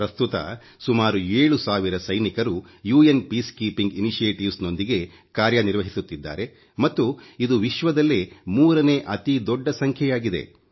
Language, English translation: Kannada, Presently, about seven thousand Indian soldiers are associated with UN Peacekeeping initiatives which is the third highest number of soldiers from any country